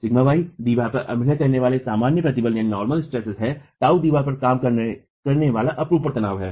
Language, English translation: Hindi, Sigma y is the normal stress acting on the wall, tau is the shear stress acting on the wall